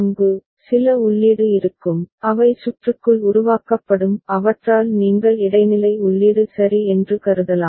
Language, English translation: Tamil, There, there will be certain input which will be generated inside the circuitry ok; by those can be considered you know intermediate input ok